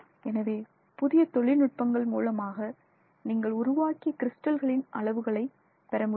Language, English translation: Tamil, Different techniques can be used to estimate the sizes of the crystals produced of the crystals